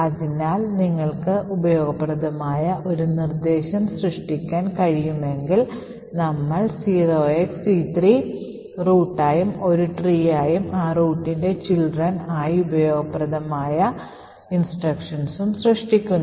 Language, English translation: Malayalam, So, if you are able to form a useful instruction, we create a tree with c3 as the root and that useful instructions as children of that root